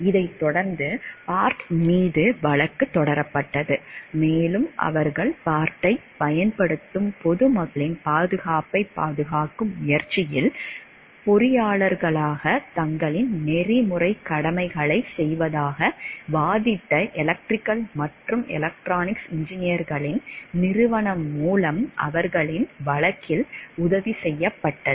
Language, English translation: Tamil, This subsequently sued Bart and were aided in their suit by the institute of electrical and electronics engineers which contended that they were performing their ethical duties as engineers in trying to protect the safety of the public that would use Bart